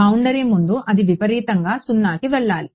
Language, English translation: Telugu, Before the boundary it should exponentially go to 0